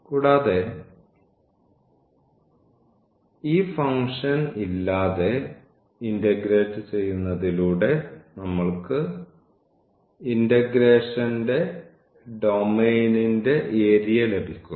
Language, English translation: Malayalam, And, just integrating without this function we were getting the area of the domain of integrations